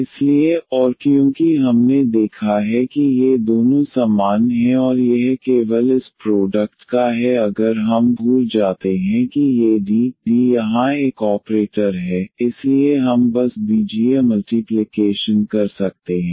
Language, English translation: Hindi, So, and because we have seen that these two are same and this is just the product of this one if we forget that these D; D is an operator here, so we can simply algebraic multiplication we can do